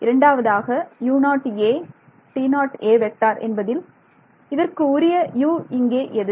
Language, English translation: Tamil, So, that is corresponding to U which one